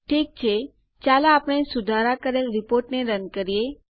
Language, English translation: Gujarati, Okay, let us run our modified report now